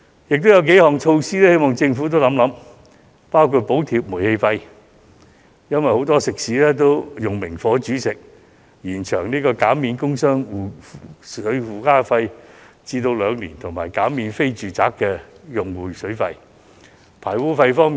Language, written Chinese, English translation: Cantonese, 另有數項措施，我希望政府可以一併考慮，包括：補貼煤氣費，因為很多食肆均使用明火煮食；工商業污水附加費的減免延長至兩年；以及減免非住宅用戶的水費。, There are some other measures that I hope the Government will consider as well . They include subsidizing gas charge as many eateries cook on open fire; extending the reduction of trade effluent surcharge to two years; and waiving water charge payable by non - domestic households